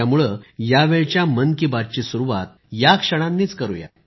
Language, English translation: Marathi, Let us hence commence Mann Ki Baat this time, with those very moments